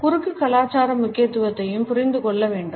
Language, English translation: Tamil, The cross cultural significance also has to be understood